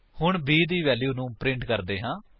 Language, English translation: Punjabi, Now, let us print the value of b